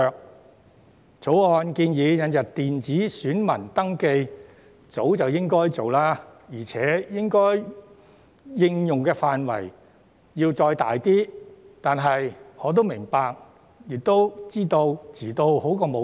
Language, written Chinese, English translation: Cantonese, 《條例草案》建議引入的電子選民登記冊，早應實施，而且應用範圍應進一步擴闊，但我也明白及知道遲做總勝於不做。, The introduction of the electronic poll register proposed in the Bill should have been implemented long ago with its scope of application further expanded . But then I also understand and know that it is always better late than never